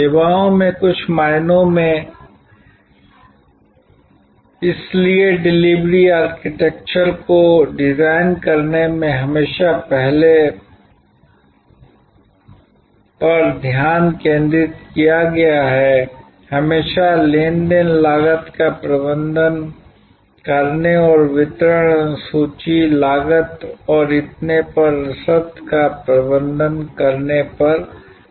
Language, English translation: Hindi, In some ways in services also therefore, in designing the delivery architecture, the focuses always been on earlier, is always been on managing the transaction cost and managing the logistics of delivery, schedule, cost and so on